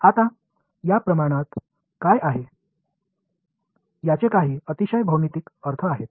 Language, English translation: Marathi, Now there are some very beautiful geometric meanings of what these quantities are